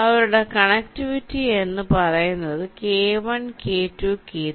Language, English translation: Malayalam, so their connectivity can be k one, k two, k three